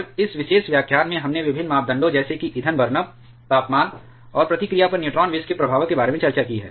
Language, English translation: Hindi, And in this particular lecture we have discussed about the effects of different parameters like fuel burnup, temperature and neutron poisons on reactivity